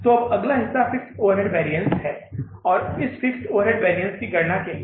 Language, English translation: Hindi, And then the second will be the variable overhead variance and the fixed overhead variance